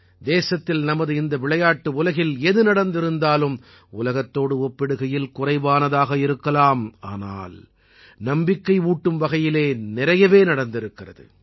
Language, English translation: Tamil, Whatever our country earned in this world of Sports may be little in comparison with the world, but enough has happened to bolster our belief